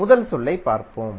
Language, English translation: Tamil, Let us see the first term